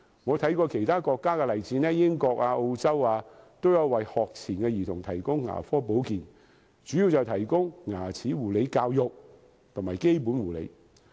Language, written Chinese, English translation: Cantonese, 我參考過其他國家的例子，英國和澳洲，都有為學前兒童提供牙科保健，主要是提供牙齒護理教育和基本護理。, I have made reference to the example of other countries . United Kingdom and Australia would provide dental care for pre - primary children mainly in dental care education and basic care